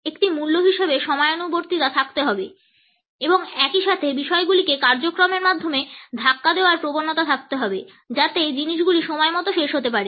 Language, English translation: Bengali, Punctuality as a value has to be there and at the same time there is a tendency to push things through the agenda so, that things can end on time